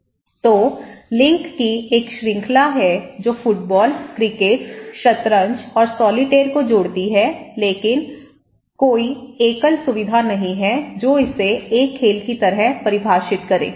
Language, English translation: Hindi, So, there is a series of links that which connect soccer, cricket, chess and solitaire but there is no single feature or that is enough or sufficient condition to call it as a game, right